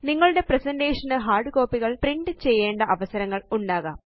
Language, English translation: Malayalam, There are times when you would need to print hard copies of your presentation